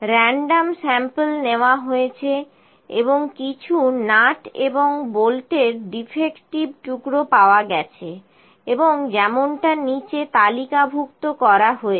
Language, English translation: Bengali, Random sample were taken and some defective pieces of nuts and bolts were obtained and as tabulated below